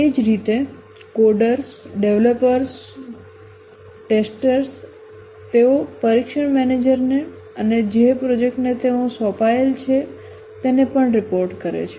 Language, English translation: Gujarati, Similarly, the coders, the developers, the testers, they report to the test manager and also to the project to which they have been assigned